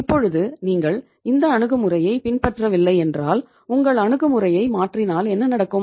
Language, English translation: Tamil, Now if you are not following this approach and if you change your approach in this case what will happen